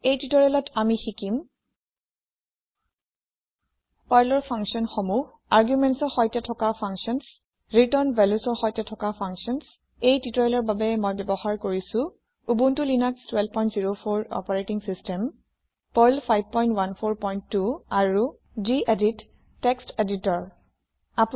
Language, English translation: Assamese, In this tutorial, we will learn about Perl functions functions with arguments function with return values For this tutorial, I am using Ubuntu Linux12.04 operating system Perl 5.14.2 and gedit Text Editor You can use any text editor of your choice